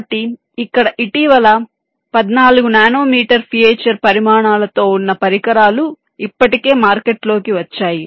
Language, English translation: Telugu, so here, very decently, devices with fourteen nanometer feature sizes have already come to the market